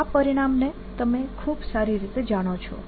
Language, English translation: Gujarati, this is a result that you know very well